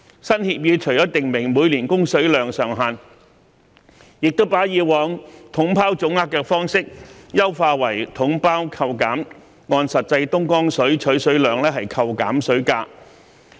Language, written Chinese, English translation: Cantonese, 新協議除訂明每年供水量上限，亦把以往"統包總額"的方式優化為"統包扣減"，按實際東江水取水量扣減水價。, Apart from specifying an annual supply ceiling the new agreement enhanced the previous package deal lump sum approach by adopting a package deal deductible sum approach in which the water price would be deducted according to the actual amount of Dongjiang water supplied